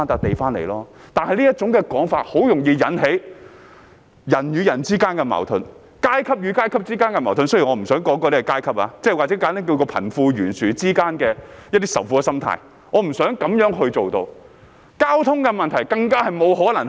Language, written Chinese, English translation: Cantonese, 他這種說法很容易引起人與人之間的矛盾、階級與階級之間的矛盾，雖然我不想說那是階級，或簡單而言是貧富懸殊之間的仇富心態，我不想做到這樣。, His statement can easily lead to conflicts between people and between classes although I do not want to mention classes nor simply call it hatred towards the rich arising from the wealth gap . Transport issues cannot be solved in this way Secretary for Development